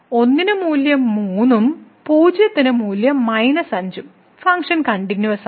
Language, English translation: Malayalam, So, at 1 the value is 3 and the 0 the value is minus 5 and function is continuous